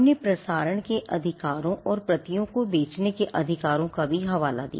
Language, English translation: Hindi, We also referred to the right to broadcast and also the right to sell the copies